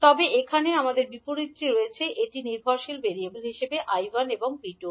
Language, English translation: Bengali, Wherein you may have the dependent variables as V1 and I2